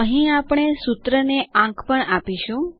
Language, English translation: Gujarati, Here we will also number the formulae